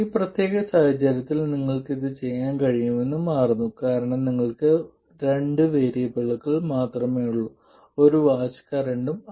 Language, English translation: Malayalam, In this particular case it turns out you can do it because you have only two variables, one voltage and one current